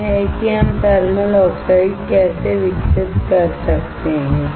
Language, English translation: Hindi, This is how we can grow the thermal oxide